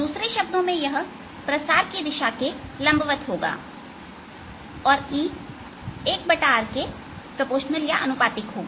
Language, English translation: Hindi, in another words, it is perpendicular to the direction of propagation and e will be proportional to one over r